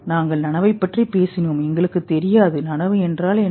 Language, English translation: Tamil, We talked about consciousness, we don't know what is consciousness